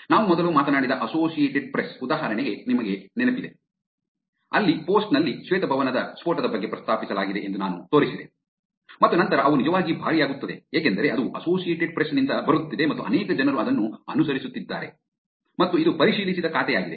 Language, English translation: Kannada, You remember the Associated Press example that we talked about earlier, where they, where I showed that the post had mentions about White House blast and then they cost actually, why because it is actually coming from Associated Press and there are many people actually follow it and it is also verified account